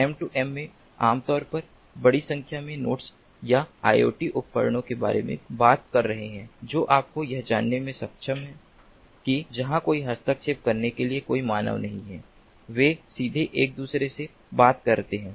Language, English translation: Hindi, in m two m we are talking typically of large number of nodes or iot devices which are able you know which, where there is no human to intervene, they talk to each other directly